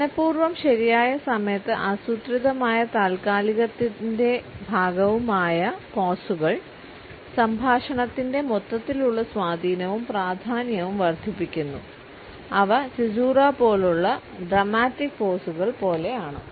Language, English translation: Malayalam, The pauses which are intentional and are a part of a planned pause at the right moment at to the overall impact and significance of our speech they are very much like the dramatic pauses like caesura